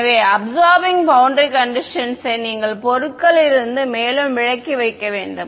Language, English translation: Tamil, So, you would have to put the absorbing boundary condition further away from the objects